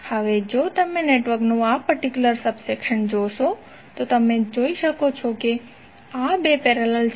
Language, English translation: Gujarati, Now, if you see this particular subsection of the network, you can see that these 2 are in parallel